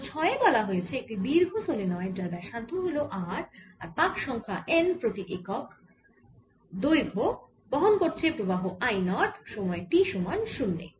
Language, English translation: Bengali, question number six states a long solenoid with radius r has n turns per unit length and is carrying a current i naught at time t equal to zero